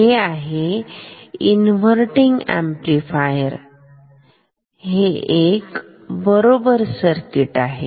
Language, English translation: Marathi, This is inverting amplifier these are correct circuits